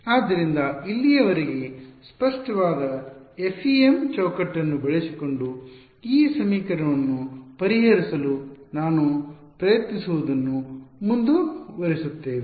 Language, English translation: Kannada, So, when we will continue subsequently with trying to solve this equation using the FEM framework clear so far